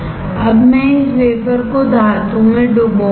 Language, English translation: Hindi, Now I will dip this wafer in metal